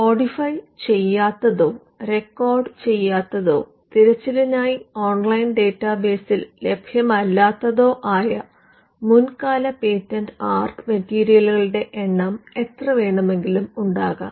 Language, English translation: Malayalam, There could be n number of prior art material which are not codified or recorded or available on an online database for search